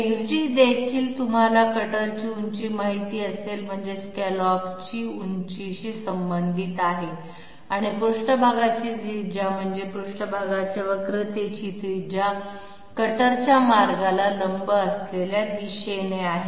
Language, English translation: Marathi, XD will also be related to you know the cutter height I mean the scallop height and the radius of the surface I mean radius of curvature of the surface in a direction perpendicular to the cutter path